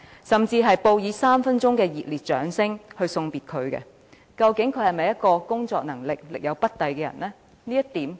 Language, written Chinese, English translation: Cantonese, "，甚至報以3分鐘熱烈掌聲為她送別，究竟她的工作能力是否真的力有不逮？, and giving her a warm applause for three minutes . Did she really fail to perform up to the required standard?